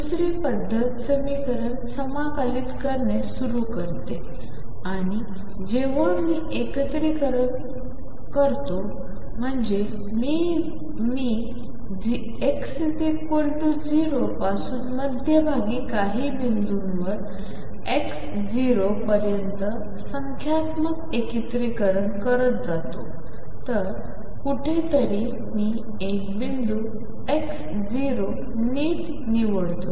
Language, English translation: Marathi, The other method was start integrating the equation and when I say integrating I mean I am doing numerical integration from x equals 0 up to some point x 0 in the middle